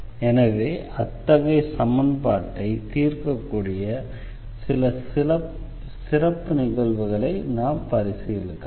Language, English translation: Tamil, So, we will have to consider some special cases where we can solve such a equation